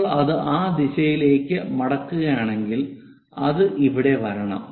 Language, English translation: Malayalam, If we are folding it in that direction is supposed to come here